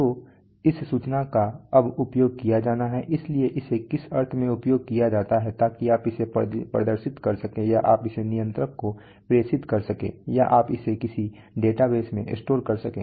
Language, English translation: Hindi, So this information now has to be used so used in what sense so you can either display it or you can transmit it to a controller, or you can store it in some database